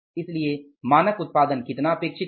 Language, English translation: Hindi, Because what was the standard production